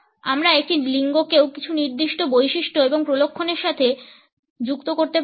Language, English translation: Bengali, We cannot also associate a gender is having certain characteristics and traits